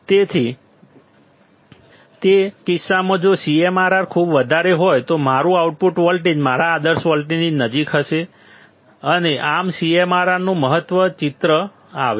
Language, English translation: Gujarati, So, in that case if CMRR is extremely high, my output voltage would be close to my ideal voltage and thus the importance of CMRR comes into picture